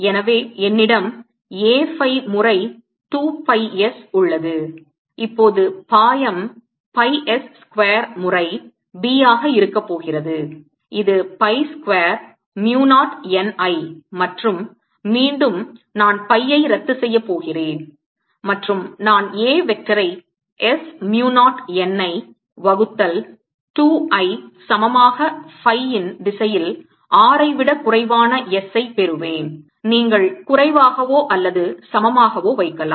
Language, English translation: Tamil, here i have distributed b giving rise to a, so i have a phi times two pi s and now the flux is going to be pi s square times b, which is equal to pi square mu naught n i, and from this again i am going to cancel pi and i get a vector is equal to s mu naught n i divided by two in the phi direction